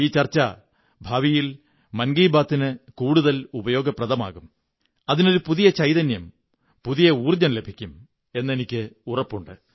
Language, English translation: Malayalam, And I am sure that this brainstorming could be useful for Mann Ki Baat in future and will infuse a new energy into it